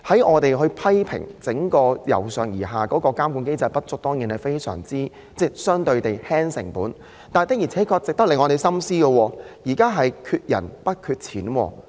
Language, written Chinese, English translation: Cantonese, 我們批評整個由上而下的監管機制有不足之處——這機制當然可以減輕成本——但有一點確實值得我們深思，便是現在的問題是缺人不缺錢。, We have been criticizing the whole monitoring mechanism from the top to bottom levels saying that it is defective . This mechanism can certainly reduce costs . But one point which really merits our deep thought is the present problem of a shortage of manpower rather than money